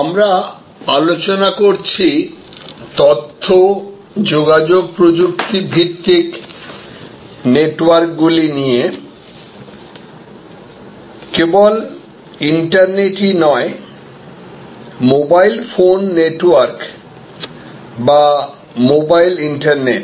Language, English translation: Bengali, We are discussing how information communication technology based networks, not only the internet, but mobile phone network or mobile internet